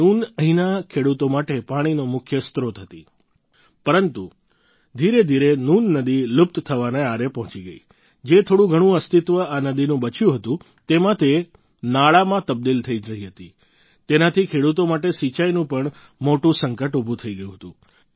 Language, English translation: Gujarati, Noon, used to be the main source of water for the farmers here, but gradually the Noon river reached the verge of extinction, the little existence that was left of this river, in that it was turning into a drain